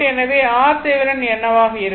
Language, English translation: Tamil, So, R thevenin will be is equal to 0